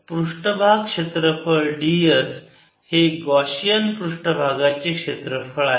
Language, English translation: Marathi, so d s is the surface area of the gaussian surface